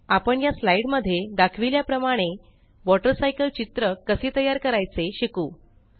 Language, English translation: Marathi, We will learn how to create a picture of the water cycle as shown in this slide